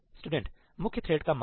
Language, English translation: Hindi, Value of the main thread